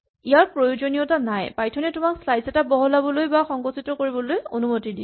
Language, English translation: Assamese, This is not required, Python allows you to both expand and shrink a slice